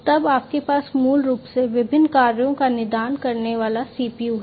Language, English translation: Hindi, Then you have the CPU basically diagnosing different tasks